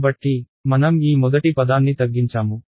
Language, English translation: Telugu, So, we have reduced this first term